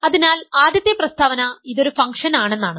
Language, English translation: Malayalam, So, the first statement is, this is a function